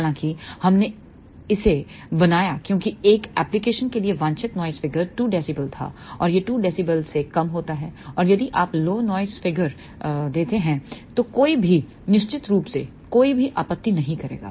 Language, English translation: Hindi, However, we fabricated this because for one of the application desired noise figure was 2 dB and this gives lower than 2 dB, and nobody will of course, object if you give a lower noise figure